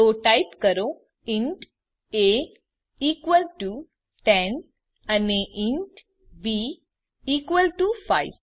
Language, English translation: Gujarati, So type int a is equalto 10 and int b is equalto 5